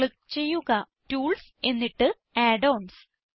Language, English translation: Malayalam, Click on Tools and then on Add ons